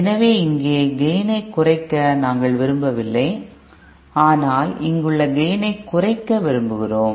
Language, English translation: Tamil, So we donÕt want to reduce the gain here, but we want to reduce the gain here